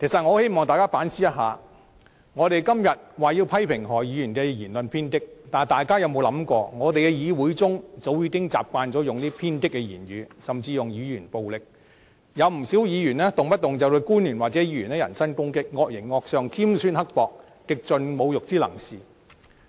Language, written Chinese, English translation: Cantonese, 我希望大家反思，我們今天要求批評何議員的言論偏激，但大家有否想過，立法會議會中早已習慣使用偏激的言語，甚至使用言語暴力，有不少議員動輒對官員或議員人身攻擊，惡形惡相，尖酸刻薄，極盡侮辱之能事。, What a pity . I hope Members will rethink that today we are criticizing Dr HOs radical remarks but have we ever thought of the fact that we have gotten used to the use of radical language or even verbal violence? . Quite a number of Members have even come down to personal attack at officials or other Members